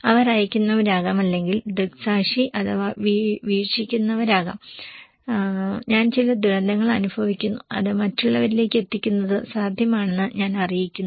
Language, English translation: Malayalam, They could be senders or maybe eye, eyewitness, eye watched maybe I, I am experiencing some disaster and I am conveying that relaying that to others it is possible